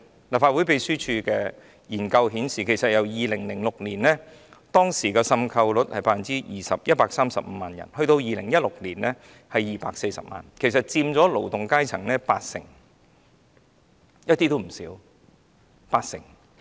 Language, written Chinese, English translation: Cantonese, 立法會秘書處的研究顯示 ，2006 年的滲透率是 20%、即135萬人 ，2016 年是240萬人，佔勞動階層八成，數字並不低。, The research by the Legislative Council Secretariat shows a prevalence rate of 20 % in 2006 or 1.35 million people . In 2016 the number was 2.40 million people and accounted for 80 % of the working class so the number was not small